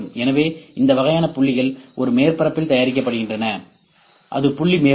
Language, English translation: Tamil, The points are produced, these are the points, this is point cloud